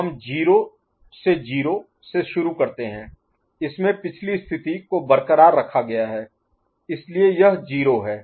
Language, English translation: Hindi, So, we have got 0 to 0 so previous state is retained, so this is 0